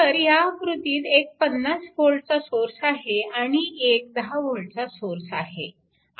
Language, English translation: Marathi, So, we have one 10 volt source, and we have one 50 volt source